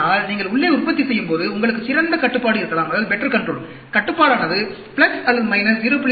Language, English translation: Tamil, But, when you are manufacturing inside, you may have a better control; you may have control which could be plus or minus 0